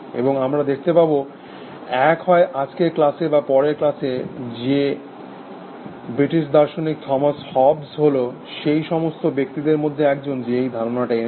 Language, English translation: Bengali, And we will see, either in today’s class or in the next class, that the British philosophers Thomas Hobbes, was one of the first person through, put forward this idea